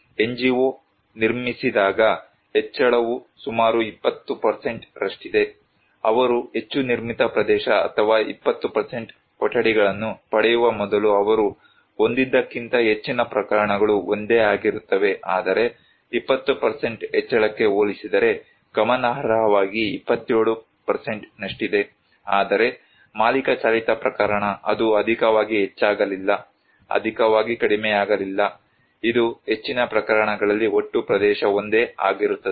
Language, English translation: Kannada, When NGO constructed, increase is around 20%, what they had before they received more built up area, or rooms that is 20%, most of the cases is same but also significantly 27% compared to 20% increase that decrease, whereas in case of owner driven, it did not increase much also, did not decrease much, it remains most of the cases the same, the total area